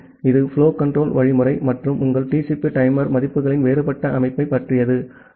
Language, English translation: Tamil, So, this is all about the flow control algorithm and different set up of your TCP timer values